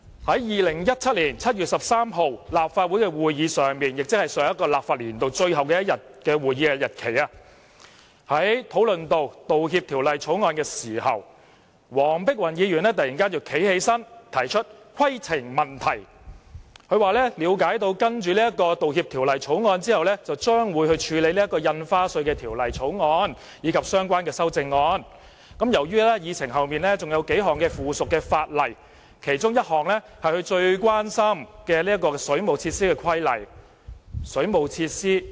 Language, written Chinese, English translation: Cantonese, 在2017年7月13日的立法會會議，即上一個立法年度最後一天的會議上，當討論到《道歉條例草案》時，黃碧雲議員突然站起來提出規程問題，說她了解到審議《道歉條例草案》後將會處理《條例草案》及相關修正案；由於議程上還有數項附屬法例排在《條例草案》之後，而其中一項是與她最關心的水務設施有關的規例——水務設施？, At the Legislative Council meeting on 13 July 2017 ie . the last meeting of the last legislative session when the Apology Bill was discussed Dr Helena WONG suddenly stood up and raised a point of order . She said that upon the completion of the scrutiny of the Apology Bill the Bill and its amendments would be dealt with; and after the Bill there were some subsidiary legislation on the Agenda one of which was related to waterworks that she was most concerned about